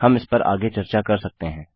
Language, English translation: Hindi, We can discuss this further there